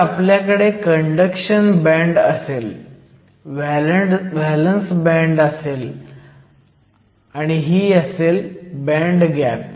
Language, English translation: Marathi, So, we will have a conduction band, we will have a valence band that is your band gap